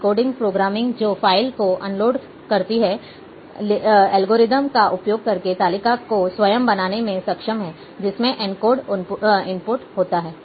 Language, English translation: Hindi, Decoding programming that uncompress the file is able to build the table itself by using the algorithm, that is possesses the encode input